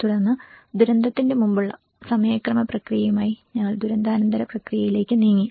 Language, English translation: Malayalam, Then we moved on with the timeline process of pre disaster to the post disaster process